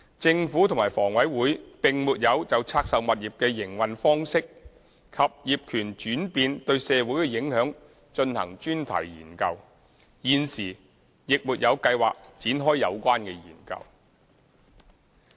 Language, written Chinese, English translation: Cantonese, 政府及房委會並沒有就拆售物業的營運方式及業權轉變對社會的影響進行專題研究，現時亦沒有計劃展開有關研究。, Neither the Government nor HA conducted or has plan to conduct any thematic study on the social impact caused by changes in the operation mode and ownership of the divested properties